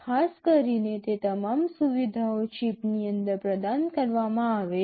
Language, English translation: Gujarati, Typically all those facilities are provided inside the chip